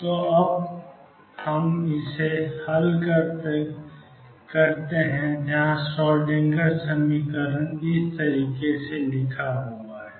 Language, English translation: Hindi, So, let us now solve this where writing the Schrodinger equations